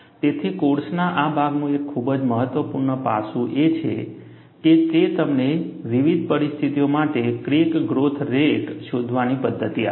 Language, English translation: Gujarati, So, one of the very important aspect of this part of the course is, it provides you methodology to find out the crack growth rate for variety of situations